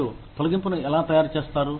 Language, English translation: Telugu, How do you implement a layoff